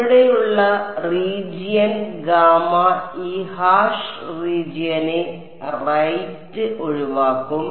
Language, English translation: Malayalam, And the region gamma here will exclude this hash region right